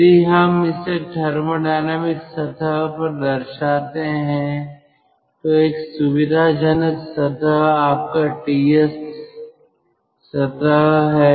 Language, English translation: Hindi, now, if we represent it on a thermodynamic plane, the convenient plane is your ts plane